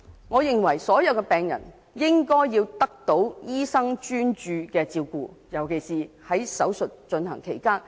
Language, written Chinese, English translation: Cantonese, 我認為所有病人都應該得到醫生專注的照顧，尤其是在手術進行期間。, I believe all patients deserve the full attention of their doctor especially during an operation